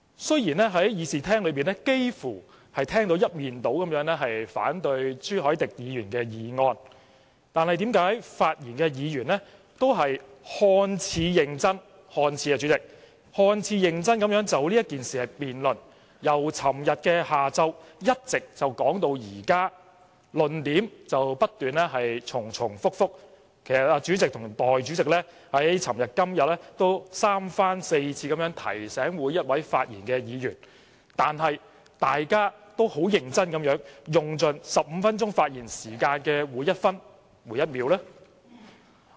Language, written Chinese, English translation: Cantonese, 雖然在議事廳內聽到的聲音幾乎一面倒反對朱凱廸議員的議案，但為何發言的議員均看似認真地——主席，是看似——就這議案辯論，由昨天下午一直辯論至今，論點不斷重複，儘管主席和代理主席昨天和今天也三番四次地提醒每位發言的議員，但他們仍很認真地用盡15分鐘發言時間的每分每秒。, Although the views we heard in the Chamber seem to be unanimously against Mr CHU Hoi - dicks motion why did the Members who spoke keep debating this motion in a seemingly serious manner―President it is seemingly serious . They have debated all the way since yesterday afternoon and kept repeating their arguments . Although the President and the Deputy President had repeatedly reminded each Member who spoke yesterday and today they still seriously used up every second of their 15 - minute speaking time